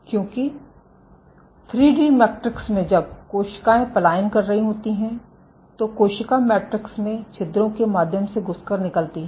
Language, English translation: Hindi, So, why because, in 3 D matrices when cells are migrating, the cell has to squeeze through the pores in the matrix